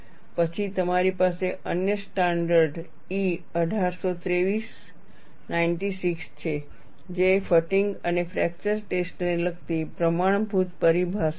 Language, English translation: Gujarati, Then you have another standard E 1823 96, Standard terminology relating to fatigue and fracture testing